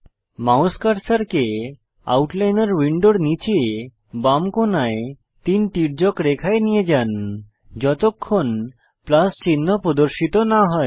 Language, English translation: Bengali, Move your mouse cursor to the hatched lines at the bottom left corner of the right Outliner panel till the Plus sign appears